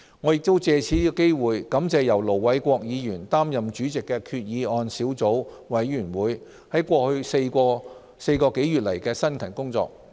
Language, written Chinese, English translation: Cantonese, 我亦借此機會感謝由盧偉國議員擔任主席的決議案小組委員會在過去4個多月的辛勤工作。, I would also like to take this opportunity to thank the subcommittee set up to scrutinize the Resolution for its hard work over the last four months or so under the chairmanship of Ir Dr LO Wai - kwok